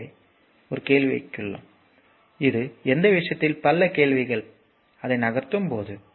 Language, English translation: Tamil, So, I will put a question to you that your a that is your is many questions on this thing when I will move that